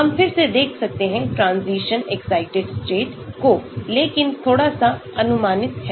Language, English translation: Hindi, we can look at again ground, transition excited states but a little bit approximate